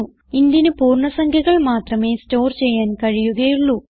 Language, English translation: Malayalam, That is because int can only store integers